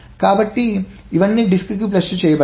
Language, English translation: Telugu, So this is all flushed to the disk